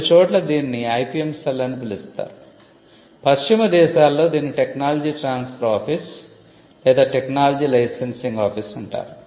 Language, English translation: Telugu, It is called the IP Centre, in some places it is called the IPM Cell, in the west it is called the Technology Transfer Office or the Technology Licensing Office